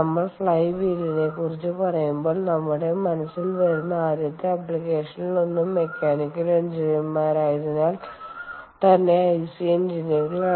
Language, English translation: Malayalam, when we talk of flywheel, one of the first applications that come to our mind is ic engines, right, as mechanical engineers